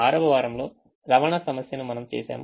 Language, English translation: Telugu, the sixth week we did transportation problem